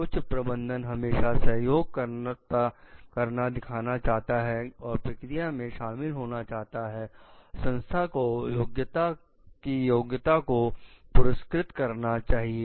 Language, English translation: Hindi, Top management made display continuing support and involvement in the process, the organization must reward merit